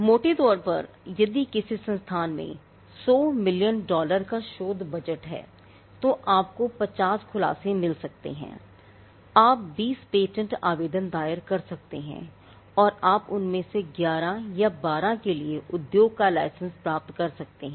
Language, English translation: Hindi, Roughly, if an institute has a 100 million dollar research budget you could get 50 disclosures, you could file 20 patent applications and you may get 11 or 12 of them licensed to the industry